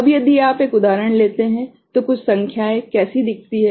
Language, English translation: Hindi, Now if you take an example, some numbers how it looks like